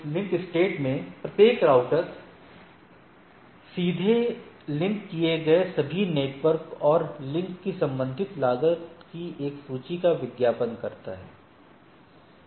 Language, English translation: Hindi, Whereas, in link state each router advertises a list of all directly connected network and associated cost of the link